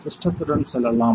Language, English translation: Tamil, Can go along the system